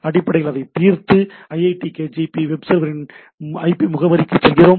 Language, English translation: Tamil, We are basically resolving it and going to a IP address of the iitkgp web server